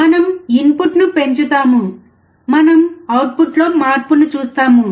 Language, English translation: Telugu, We increase the input; we see change in output